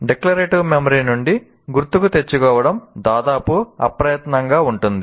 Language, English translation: Telugu, It is almost effortless to recall from the declarative memory